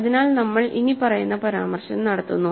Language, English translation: Malayalam, So, and we make the following easy remark